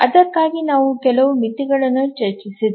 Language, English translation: Kannada, For that we were discussing some bounds